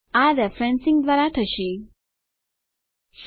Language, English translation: Gujarati, This will be done by referencing